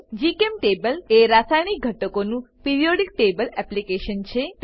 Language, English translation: Gujarati, GChemTable is a chemical elements Periodic table application